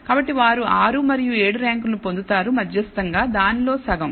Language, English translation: Telugu, So, they get the rank 6 and 7 which is the midway, the half of it